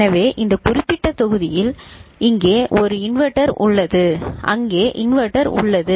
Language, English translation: Tamil, So, this particular block if you look at it; so there is a inverter here and there is inverter over there